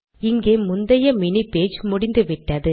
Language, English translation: Tamil, Here the previous mini page got over